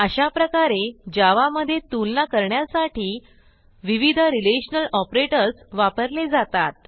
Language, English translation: Marathi, This is how we use the various relational operators to compare data in Java